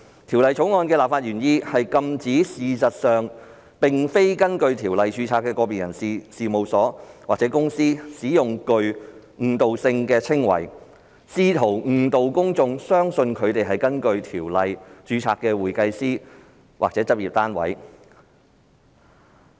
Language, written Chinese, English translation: Cantonese, 《條例草案》的立法原意是禁止事實上並非根據《條例》註冊的個別人士、事務所或公司使用具誤導性的稱謂，試圖誤導公眾相信他們是根據《條例》註冊的會計師或執業單位。, The legislative intent of the Bill is to prohibit the use of descriptions by individuals firms or companies which may mislead the public into believing that they are certified public accountants or practice units registered under the Ordinance when in fact they are not